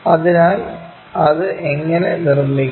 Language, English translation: Malayalam, So, how to construct that